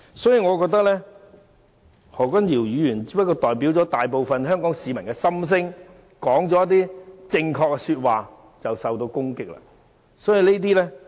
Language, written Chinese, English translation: Cantonese, 所以，我認為何君堯議員只不過是代表大部分香港市民的心聲，說了一些正確的說話，卻因而受到攻擊。, So I consider that Dr Junius HOs words simply represented the heartfelt wishes of most Hong Kong people saying something right . However he has been attacked for this